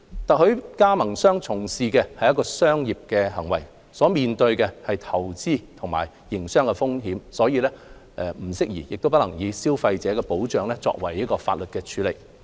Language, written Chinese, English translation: Cantonese, 特許加盟商從事的是商業行為，所面對的投資及營商風險，不宜亦不能以消費者保障的法例處理。, Franchisees conduct commercial activities . The associated investment and business risks they bear should not and could not be dealt with by consumer protection legislation